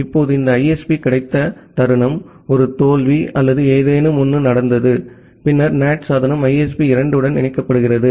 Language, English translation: Tamil, Now the moment this ISP got a failure or something happened, then the NAT device gets connected to ISP 2